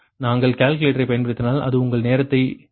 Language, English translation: Tamil, also, if we use calculator, also it will take your time